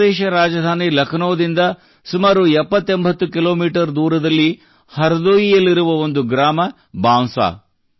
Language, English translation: Kannada, Bansa is a village in Hardoi, 7080 kilometres away from Lucknow, the capital of UP